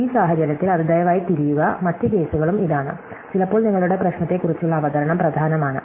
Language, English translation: Malayalam, So, in this case, it please turn and other case is also, sometimes your presentation of the problem is important